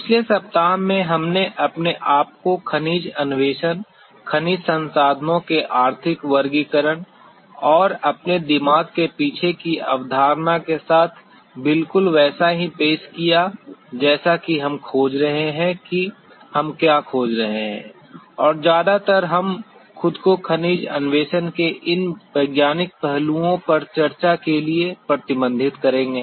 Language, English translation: Hindi, In the previous week we got ourselves introduced to Mineral Exploration with an overview of classification, economic classification of mineral resources and with the concept at the back of our mind exactly what we are going to explore what we are looking for and mostly we will be restricting ourselves to the discussion on these scientific aspects of mineral exploration